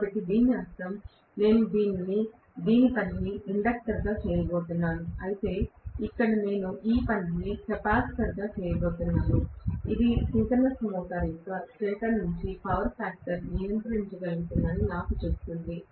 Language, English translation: Telugu, So, which means I am going to have this work as an inductor, whereas here, I am going to make this work as a capacitor which actually tells me that I will be able to control the power factor on the stator side of a synchronous motor by adjusting the DC excitation